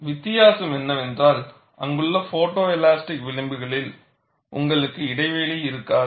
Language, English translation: Tamil, The difference is, you will not have a gap in the photo elastic fringes there